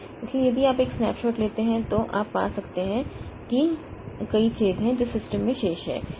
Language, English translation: Hindi, So, if you take a snapshot, so you may find that there are many holes that are remaining in the system